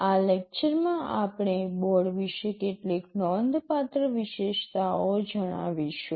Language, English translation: Gujarati, In this lecture we shall be telling you some notable features about the board